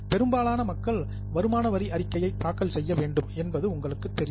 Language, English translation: Tamil, As you are aware, most of the people have to file income tax returns